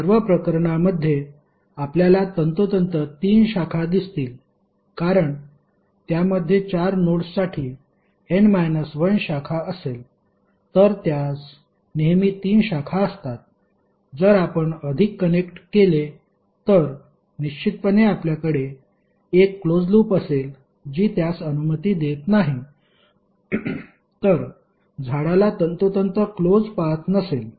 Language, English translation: Marathi, In all the cases if you see there would be precisely three branches because it will contain n minus one branch for four nodes it will always have three branches, if you connect more, then definitely you will have one closed loop which is not allowed in this case so tree will have precisely no closed path